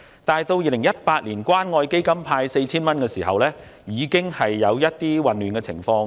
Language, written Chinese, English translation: Cantonese, 至於2018年透過關愛基金派發 4,000 元時，出現了一些混亂情況。, As for the cash handout of 4,000 under the Community Care Fund in 2018 there were some hiccups